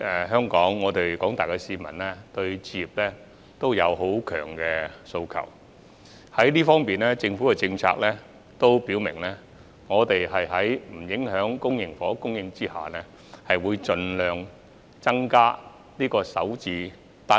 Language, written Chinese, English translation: Cantonese, 香港廣大市民確實對置業有強烈訴求，政府也表明會在不影響公營房屋供應的前提下，提供首置單位。, The general public in Hong Kong do have a strong demand for home ownership and the Government has also indicated that it will provide SH units as long as they do not affect the supply of public housing